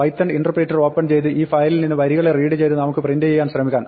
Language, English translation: Malayalam, Now, let us open the python interpreter and try to read lines from this file and print it out